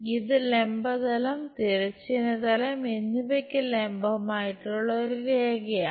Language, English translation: Malayalam, And this is a line perpendicular to both vertical plane and horizontal plane